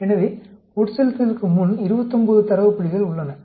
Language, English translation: Tamil, So, before infusion, we have there are 29 data points